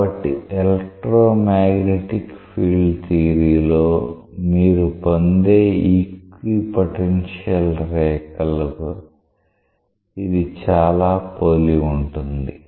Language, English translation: Telugu, So, this is very much analogous to the equipotential line that you get in say electromagnetic field theory